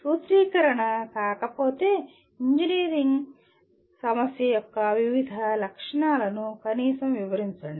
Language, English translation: Telugu, If not formulation, at least describe the various features of that particular engineering problem